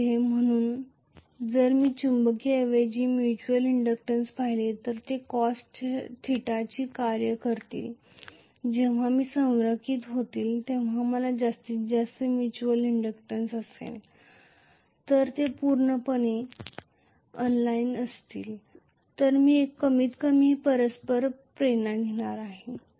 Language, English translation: Marathi, So if I look at the magnetic rather mutual inductance it will be a function of cos theta when they are aligned I will have maximum mutual inductance then they are completely unaligned then I am going to have minimal mutual inductance